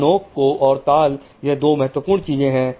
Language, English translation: Hindi, So the spike and rhythm there are two most important things